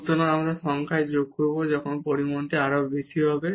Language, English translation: Bengali, So, when we are adding in the numerator the quantity will be bigger